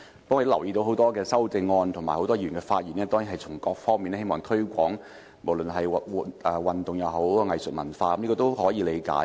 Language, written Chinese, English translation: Cantonese, 不過，我留意到多項修正案及很多議員的發言也希望從各方面推廣運動、藝術和文化的發展，這是可以理解的。, Yet I note that in the motion amendments or Members speeches many Members have expressed their hope to promote the development of sports arts and culture through various initiatives . This is understandable